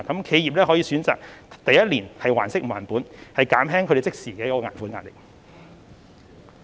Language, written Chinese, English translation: Cantonese, 企業可以選擇第一年還息不還本，減輕他們的即時還款壓力......, All guarantee fees will be waived . Enterprises may opt for principal moratorium for the first year to lessen their immediate repayment burden